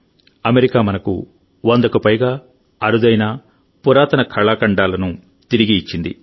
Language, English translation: Telugu, America has returned to us more than a hundred rare and ancient artefacts